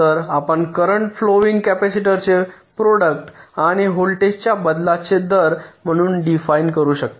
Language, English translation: Marathi, so you can define the current flowing as the product of the capacitor and the rate of change of voltage